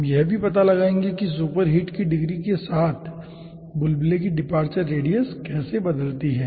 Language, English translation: Hindi, we will be also finding out that how departure radius of a bubble varies with degree of superheat